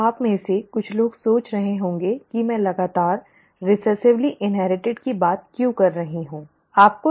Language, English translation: Hindi, Now, some of you might have been wondering why did I keep harping on recessively inherited, okay